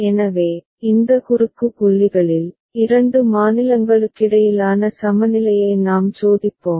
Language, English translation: Tamil, So, in these cross points, we shall consider, we shall test the equivalence between two states right